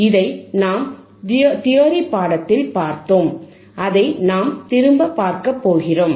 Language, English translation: Tamil, We have seen this in theory class we are again repeating it